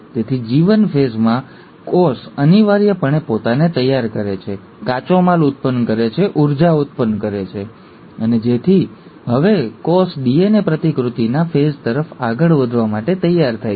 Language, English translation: Gujarati, So, in G1 phase, the cell is essentially preparing itself, generating raw materials, generating energy, and, so that now the cell is ready to move on to the phase of DNA replication